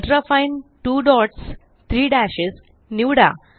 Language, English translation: Marathi, Select Ultrafine 2 dots 3 dashes